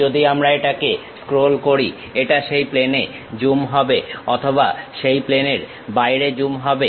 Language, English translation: Bengali, If we are scrolling it, it zoom onto that plane or zooms out of that plane